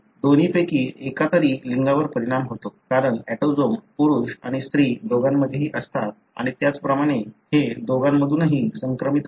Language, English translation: Marathi, Affects either sex, because autosomes are present in both male and female and likewise it is transmitted by either sex